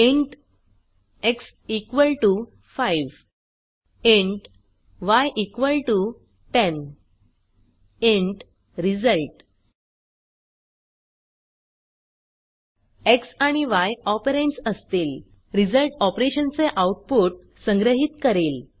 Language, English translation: Marathi, int x = 5 int y = 10 int result x and y will be the operands and the result will store the output of operations